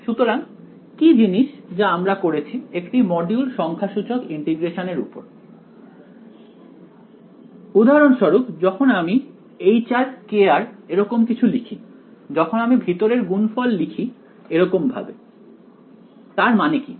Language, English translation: Bengali, So, what are the some of the things you have we have done one module on numerical integration right so for example, when I write something like h of r comma k of r when I write the inner product like this, what does that mean